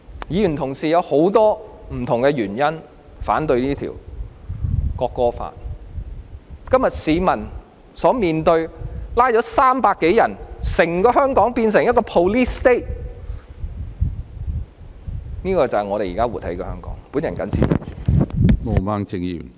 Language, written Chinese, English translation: Cantonese, 議員同事有很多不同原因反對這項《條例草案》，今天市民所面對的情況是已有300多人被捕，整個香港變成 police state， 這就是我們現正活在的香港。, Member colleagues have many different reasons for opposing the Bill . Today the situation faced by citizens is that more than 300 people have been arrested and the whole Hong Kong has been turned into a police state . This is Hong Kong in which we are living now